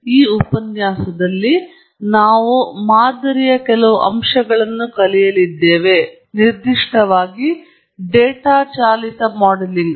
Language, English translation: Kannada, In this lecture, we are going to learn certain aspects of modelling; in particular, data driven modelling